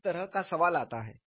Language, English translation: Hindi, This kind of question comes